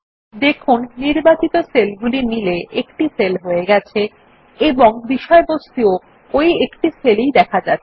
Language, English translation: Bengali, You see that the selected cells get merged into one and the contents are also within the same merged cell